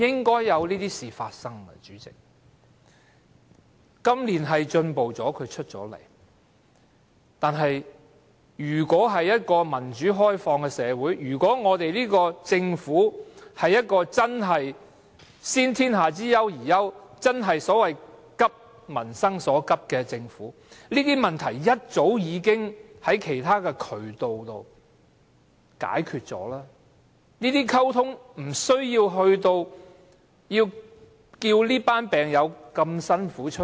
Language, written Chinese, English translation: Cantonese, 今年特首出來接見確是進步了，但如果我們是一個民主開放社會，如果這個政府真的是"先天下之憂而憂"、真的"急民生所急"，這些問題早應循其他渠道溝通、解決了，無須待這群病友辛苦的站出來。, Truly it was a progress that the Chief Executive came out to meet with the patients this year . Yet if we are a democratic and open society and if the Government can take the lead to address the worries of the people and the pressing needs of the public sincerely these problems should have long since been addressed and discussed through other channels and these patients would not have to bear the pain to come forward